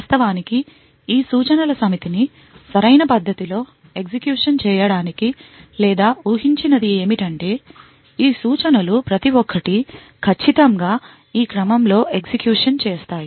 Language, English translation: Telugu, In order to actually run this these set of instructions in a correct manner or what is expected is that each of these instructions execute in precisely this order